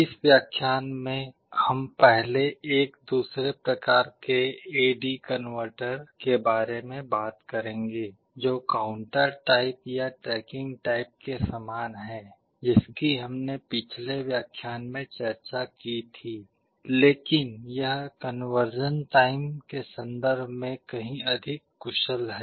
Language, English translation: Hindi, In this lecture we shall be first talking about another kind of A/D converter, which is similar to counter type or tracking type converter that we discussed in the last lecture, but is much more efficient in terms of the conversion time